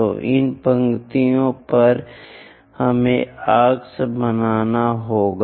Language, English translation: Hindi, So, on these lines we have to make arcs